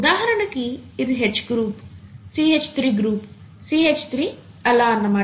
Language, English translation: Telugu, For example, this H group, CH3 group, CH3 and so on